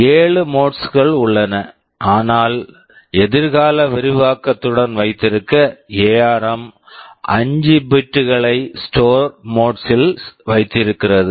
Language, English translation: Tamil, I said there are 7 modes, but to keep with future expansion ARM keeps 5 bits to store mode